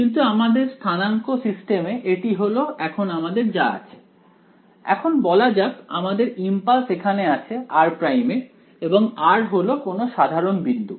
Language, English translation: Bengali, But in your in our coordinate system right now this is what we have let us say this is our impulse is here at r prime and this is some general point r